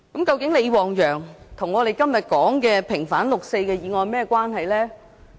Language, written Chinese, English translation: Cantonese, 究竟李旺陽和我們今天所說的平反六四的議案有何關係？, In what way was LI Wangyang related to the motion on vindicating the 4 June incident today?